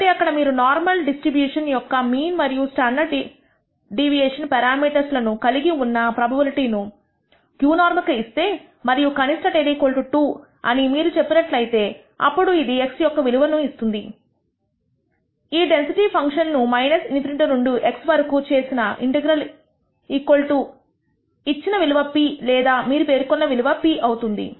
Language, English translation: Telugu, So, here I have if you give the probability to q norm with the mean and standard deviation parameters of the normal distribution and you say the lower tail is equal to 2, then it will actually compute the value of X such that the integral between minus in nity to X of this density function is equal to the given value p you are specified p and calculating X